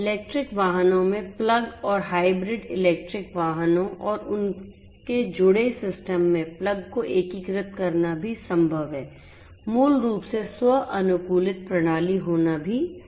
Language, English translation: Hindi, It is also possible to integrate plug in electric vehicles and plug in hybrid electric vehicles and their connected systems, it is also possible to basically have a self optimized system and so on